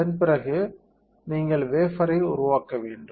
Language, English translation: Tamil, After that you have to develop the wafer